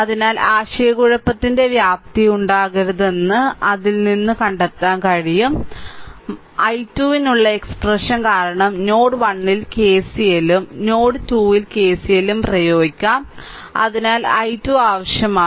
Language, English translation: Malayalam, So, from that you can find out there should not be any scope of confusion right so; that means, i 2 expression because i 2 is needed, because we will apply KCL at node 1 and KCL at node 2 so, i 2 is needed